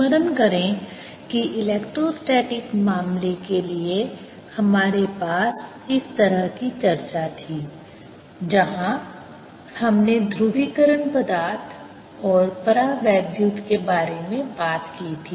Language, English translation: Hindi, recall that we had we have had such a discussion for the electrostatic case, where we talked about polarizable materials and also dielectrics